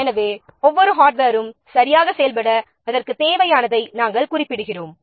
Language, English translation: Tamil, Then for each piece of hardware specify what it needs in order to function properly